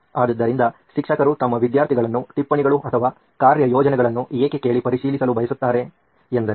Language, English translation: Kannada, So, why do teachers want to verify the notes or assignments that they have asked the students to do